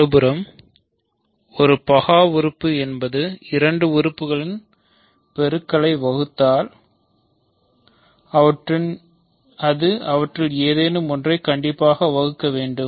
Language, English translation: Tamil, On the other hand, a prime element is an element which when it divides a product of two elements, it must divide one of them